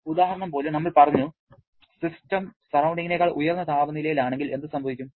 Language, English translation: Malayalam, Like the example, we have talked about if the system is at a temperature higher than surrounding, then what will happen